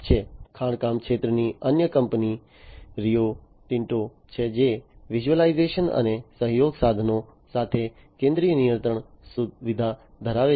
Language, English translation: Gujarati, Another company in the mining sector is the Rio Tinto, which has the central control facility with visualization and collaboration tools